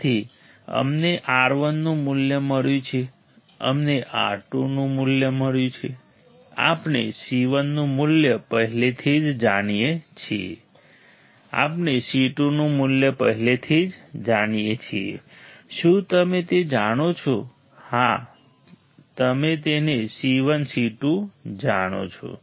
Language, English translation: Gujarati, So, we have found the value of R 1 we have found the value of R 2, we have already known value of C 1, we already know value of C 2 do you know it yes you know it C 1 C 2